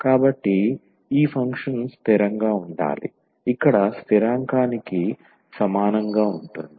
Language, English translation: Telugu, So, this function must be constant can be equal to the constant here